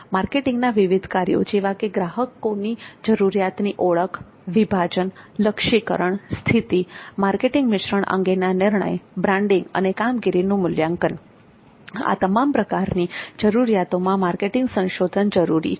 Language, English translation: Gujarati, In every marketing function such as recognition of consumer need, segmentation, targeting, positioning, marketing mixed decision, branding and performance evaluation, marketing research is required in all these type of requirements